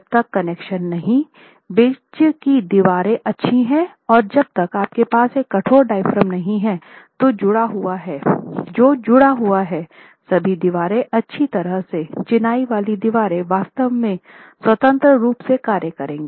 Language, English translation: Hindi, Unless the connections between the walls are good and unless you have a rigid diaphragm that is connected to all the walls well, the masonry walls will actually act independently